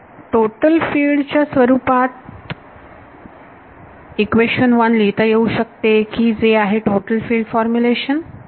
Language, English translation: Marathi, Equation 1 can be written in terms of total field that is the total field formulation